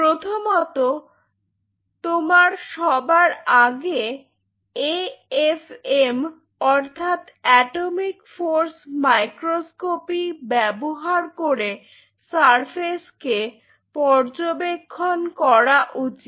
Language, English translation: Bengali, So, this is how we will be proceeding first you should do an AFM atomic force microscopy to analyze the surface